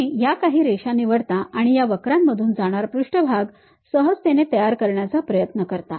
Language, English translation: Marathi, You pick lines, you try to smoothly construct a surface passing through this curves